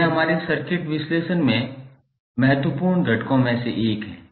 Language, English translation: Hindi, This is also one of the important component in our circuit analysis